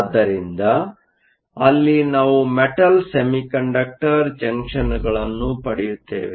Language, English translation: Kannada, So, there we will have Metal Semiconductor Junctions